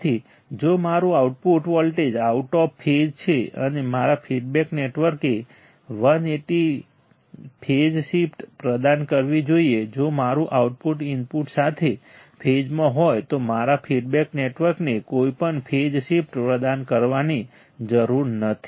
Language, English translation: Gujarati, So, if it my output voltage is out of phase, and my feedback network should provide a 180 phase shift; if my output is in phase with the input my feedback network does not require to provide any phase shift